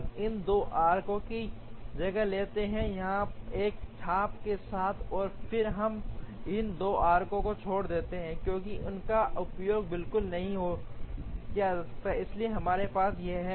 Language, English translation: Hindi, We replace these 2 arcs with one arc here, and then we leave out these 2 arcs, because they are not used at all, so we have this